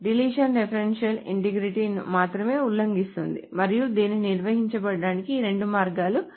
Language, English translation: Telugu, So deletion only violates referential integrity and these are the two ways of handling it